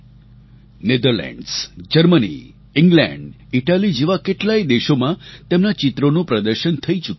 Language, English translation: Gujarati, He has exhibited his paintings in many countries like Netherlands, Germany, England and Italy